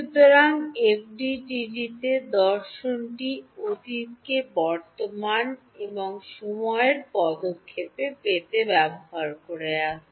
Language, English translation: Bengali, So, the philosophy in FDTD has been use the past to get to the present and time step